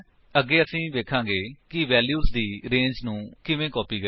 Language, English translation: Punjabi, Next, well see how to copy a range of values